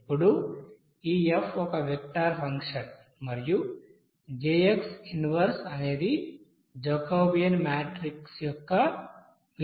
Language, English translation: Telugu, Now this F is a vector function and is the inverse of the Jacobian matrix